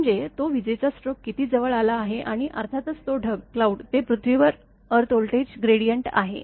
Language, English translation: Marathi, I mean how close that lightning stroke has happened and of course, that cloud to earth voltage gradient